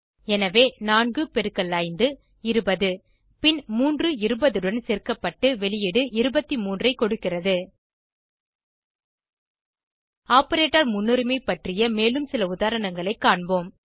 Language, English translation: Tamil, Hence four fives are twenty and then three is added to 20 to give the output as 23 Lets us see some more examples based on operator precedence